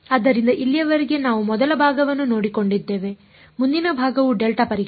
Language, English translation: Kannada, So, far so, we have taken care of the first part the next part is delta testing